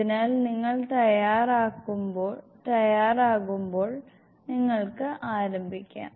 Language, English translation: Malayalam, So whenever you are ready you may start